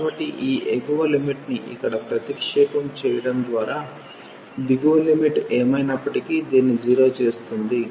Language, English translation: Telugu, So, substituting this upper limit here, the lower limit will make anyway this 0